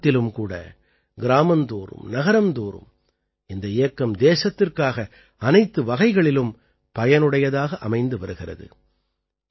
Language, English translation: Tamil, In the society as well as in the villages, cities and even in the offices; even for the country, this campaign is proving useful in every way